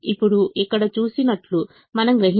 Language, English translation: Telugu, now you realize that is shown here